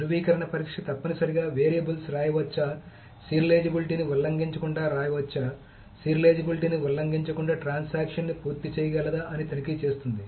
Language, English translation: Telugu, So the validation test essentially checks whether variables can be written, whether it can be written without violating the serializability, whether transaction can complete without violating the serializability